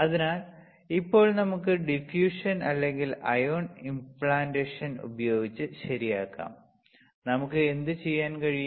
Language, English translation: Malayalam, So, now we can dope using either diffusion or ion implantation correct either diffusion or iron implantation; what we can do